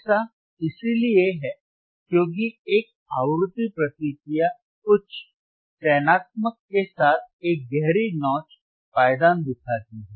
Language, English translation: Hindi, This is because a frequency response shows a deep notch with high selectivity